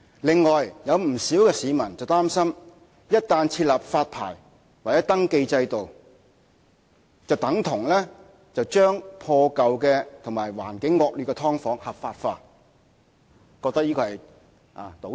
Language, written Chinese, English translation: Cantonese, "另外，有不少市民擔心，一旦設立發牌或登記制度，便等同把破舊和環境惡劣的"劏房"合法化，覺得這是種倒退。, The measures may backfire . Many people are also worried that once a licensing or registration system was implemented it is tantamount to legalizing subdivided units in dilapidated buildings with appalling living conditions